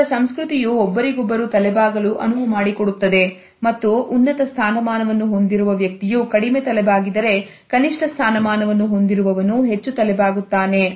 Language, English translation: Kannada, Their culture allows them to bow to each other, and the person with the higher status bows the least and the one with the least status bows the most